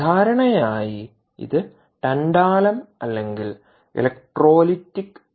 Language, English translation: Malayalam, normally this is tantalum or electrolytic